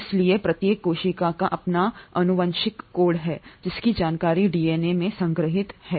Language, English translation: Hindi, So each cell has its genetic code, its information stored in the DNA